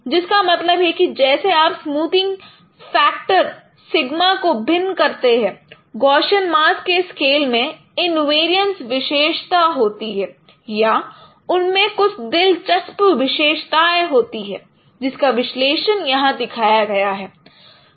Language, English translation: Hindi, That means as you vary the smoothing factor sigma, the scale of Gaussian mask, they have certain invariance properties or they have certain interesting properties